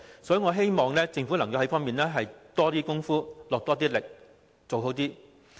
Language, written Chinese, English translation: Cantonese, 所以，我希望政府能在這方面多下工夫，做好一點。, In view of this I hope the Government can make greater efforts in this area and do a better job